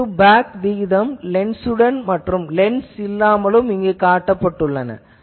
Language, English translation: Tamil, Then front to back ratio you see with lens and without lens is shown here